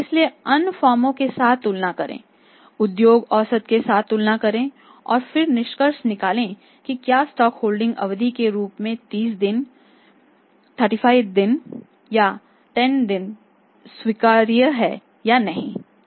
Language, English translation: Hindi, So, compare it with the other firms compared with the industry average and then draw a conclusion that their days of stock holding weather 30 days 35, 36, 5, 10 days is acceptable or not